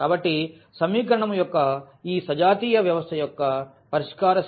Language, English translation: Telugu, So, the solution set of solution set of this homogeneous system of equation Ax is equal to 0